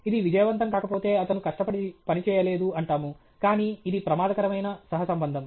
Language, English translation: Telugu, If it is not successful, there is no hard work, but this is a dangerous correlation